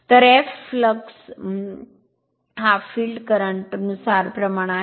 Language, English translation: Marathi, So, we know that flux is proportional to the field current